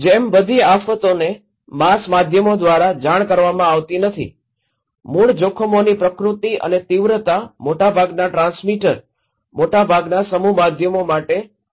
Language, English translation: Gujarati, Like, all disasters are not reported by the mass media, the nature and magnitude of the original hazards are only minor interest for most of the transmitter, most of the mass media